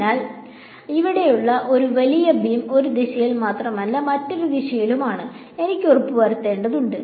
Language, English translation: Malayalam, So, I have to make sure that this like this big beam over here is only in one direction not in the other direction